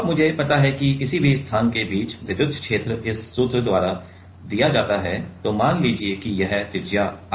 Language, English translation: Hindi, Now I know that in between any place the electric field is given by this formula, let us this is the radius r right